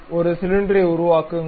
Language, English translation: Tamil, Construct a cylinder